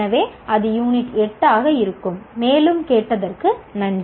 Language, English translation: Tamil, So that will be the unit 8 and thank you for listening